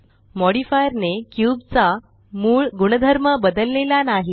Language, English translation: Marathi, So the modifier did not change the original properties of the cube